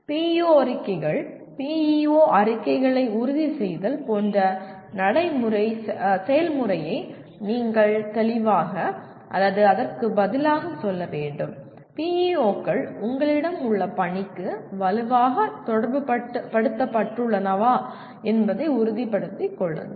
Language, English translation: Tamil, That is how the PEO statements, finalizing the PEO statements you have to go through this process of clearly or rather making sure that PEOs are strongly correlated to the mission that you have